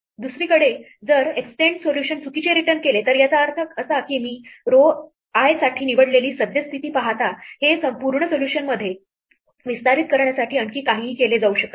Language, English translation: Marathi, On the other hand if extend solution returns false it means that given the current position that I chose for row I, nothing more could be done to extend this to a full solution